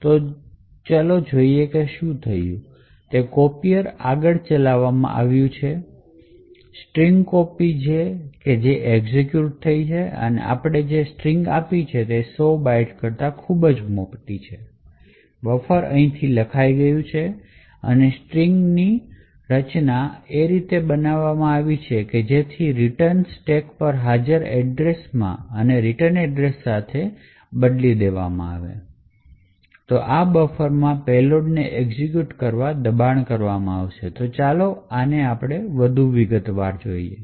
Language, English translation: Gujarati, So even this let us see what has happened is that the copier has executed further string copy has executed and since the string which we have given is much larger than 100 bytes therefore buffer has overwritten and the string has been strategically created in such a way that the return address present on the stack has been replaced with a specific return address which forces the payload present in the buffer to execute